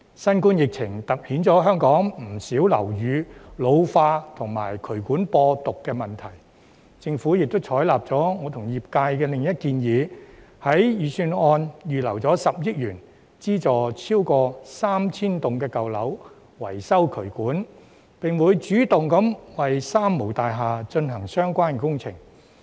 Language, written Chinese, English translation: Cantonese, 新冠疫情凸顯香港不少樓宇老化及渠管播毒的問題，政府亦採納了我與業界的另一項建議，在預算案預留10億元，資助超過 3,000 幢舊樓維修渠管，並會主動為"三無大廈"進行相關工程。, The COVID - 19 epidemic situation has highlighted the problems of ageing buildings and the spreading of virus by drainage pipes . The Government thus adopted another proposal put forward by the industry and I to earmark 1 billion in the Budget to provide subsidies for owners of more than 3 000 old buildings to carry out drainage repair works . It will also take the initiative to carry out the works concerned for the three - nil buildings